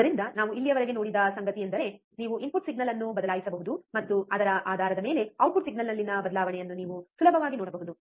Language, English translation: Kannada, So, what we have seen until now is that you can change the input signal, and based on that, you can easily see the change in the output signal